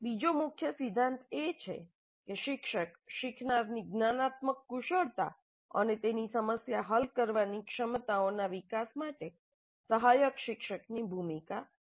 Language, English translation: Gujarati, The second key principle is teacher plays the role of a tutor supporting the development of learners metacognitive skills and her problem solving abilities